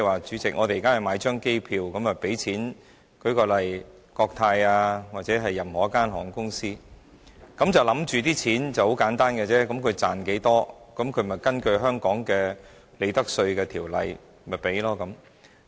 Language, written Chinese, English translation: Cantonese, 主席，我們現在向國泰航空或任何一間航空公司購買一張機票，我們想象稅款計算是很簡單的，公司賺取多少，就根據香港的《稅務條例》的利得稅稅率繳稅。, Chairman when we buy an air ticket from Cathay Pacific or any airline we probably think that the profit generated from this transaction should simply be taxed at a profits tax rate stipulated under Hong Kongs Inland Revenue Ordinance . Very little has known that it is not the case . The computation process is incredibly complicated